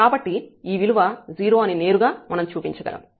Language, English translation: Telugu, So, directly we can show that this value is 0